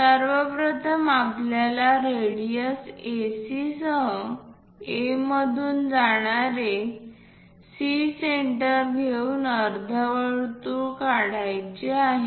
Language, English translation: Marathi, First of all, we have to construct a semicircle passing through A with radius AC and centre as C